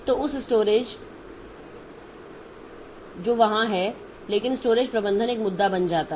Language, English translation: Hindi, So like that or the storage is there but the storage management becomes a, becomes an issue